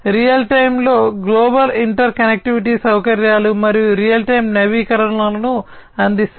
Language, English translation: Telugu, Global inter connectivity facilities in real time, and providing real time updates